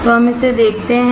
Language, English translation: Hindi, So, let us see this one